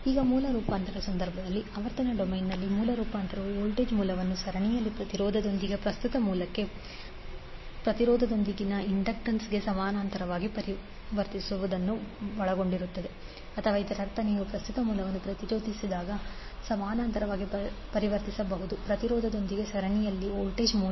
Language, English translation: Kannada, Now in case of source transformation the, in frequency domain the source transformation involves the transforming a voltage source in series with impedance to a current source in parallel with impedance or vice versa that means if you have current source in parallel with impedance can be converted into voltage source in series with an impedance